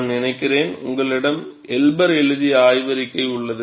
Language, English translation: Tamil, And I think, you have the paper by Elber